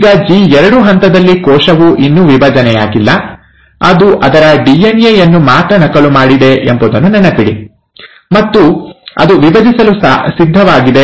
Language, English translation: Kannada, Now in the G2 phase, again, remember, the cell has still not divided, it has only duplicated its DNA, and it's ready to divide